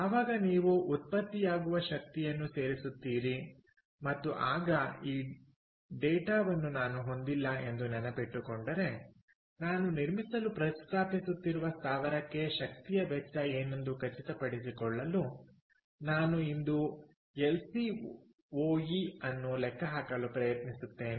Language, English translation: Kannada, so when you add up the energy that is generated, and and again, remember i dont have this data i am trying to calculate an lcoe today to make sure what is going to be the cost of energy for the plant that i am proposing to build